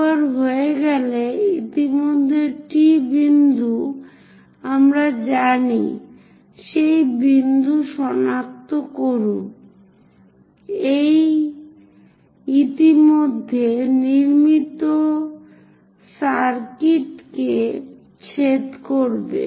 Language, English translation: Bengali, Once it is done, already T point we know; so locate that point, intersect this already constructed circuit